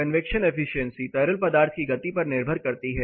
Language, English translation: Hindi, The convection efficiency depends on the speed of fluid movement